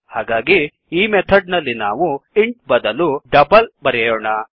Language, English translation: Kannada, So what we do is in the method instead of int we will give double